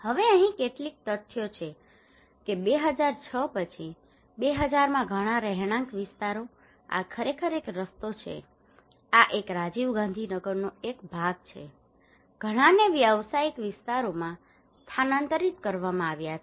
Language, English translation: Gujarati, Now here are some of the facts that in 2006 after 2006 lot of residential areas this is actually a road this is one of the fraction of the Rajiv Gandhi Nagar, many are transferred into commercial areas